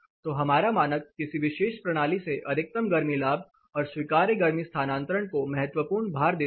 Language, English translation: Hindi, So, our standard also says critical gives critical weightage for the maximum heat gain and allowable heat transfer through the particular system